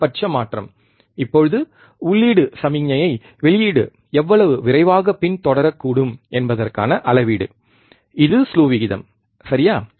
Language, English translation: Tamil, Maximum change, now measure of how fast the output can follow the input signal, this is also the slew rate all, right